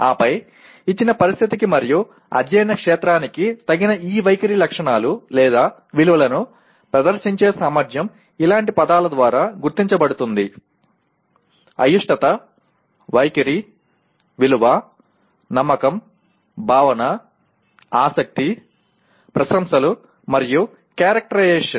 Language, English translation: Telugu, And then ability to demonstrate those attitudinal characteristics or values which are appropriate to a given situation and the field of study are identified by words such as like you use the words like, dislike, attitude, value, belief, feeling, interest, appreciation, and characterization